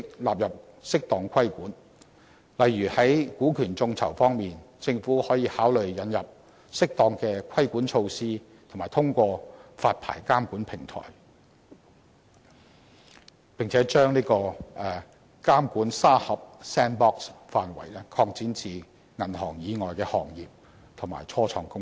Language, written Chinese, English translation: Cantonese, 例如在股權眾籌方面，政府可以考慮引入適當的規管措施及通過發牌監管平台，並把"監管沙盒"範圍擴展至銀行以外的行業及初創公司。, Regarding equity crowdfunding for instance the Government may consider enlarging the relevant supervisory sandbox to cover non - banking trades and start - ups via the introduction of appropriate regulatory measures and regulatory licencing platform